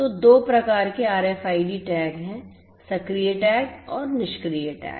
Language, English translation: Hindi, So, there are two types of RFID tags, the active tag and the passive tag